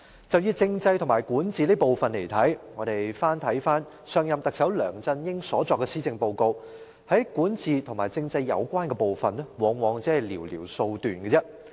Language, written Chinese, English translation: Cantonese, 就以政制和管治這部分來看，我們翻看上任特首梁振英所作的施政報告，在管治和政制有關部分，往往只是寥寥數段。, In the section related to constitutional system and governance we have checked that there were usually just a few paragraphs for this section in the Policy Address delivered by LEUNG Chun - ying the former Chief Executive